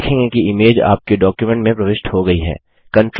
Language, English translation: Hindi, You will see that the image gets inserted into your document